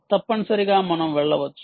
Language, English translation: Telugu, you should be able to do